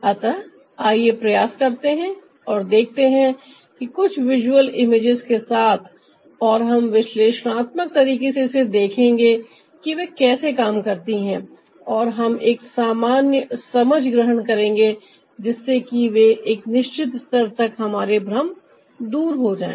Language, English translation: Hindi, so let's try and see that with ah some of the visual images, and we will analytically see how ah they function and we'll just take a general understanding so that our confusions are clear to certain level